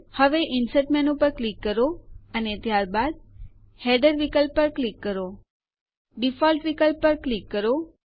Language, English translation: Gujarati, Now click on the Insert menu and then click on the Header option